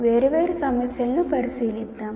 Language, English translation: Telugu, But let us look at the different issues